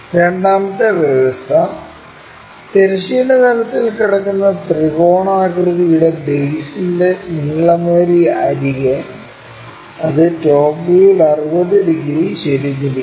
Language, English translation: Malayalam, And second condition if we are seeing, the longer edge of the base of the triangular face lying on horizontal plane and it is inclined 60 degrees in the top view